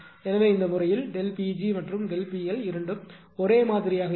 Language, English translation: Tamil, So, in that case this delta P g and delta P t both will remain same right,